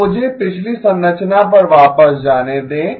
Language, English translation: Hindi, So let me go back to the previous structure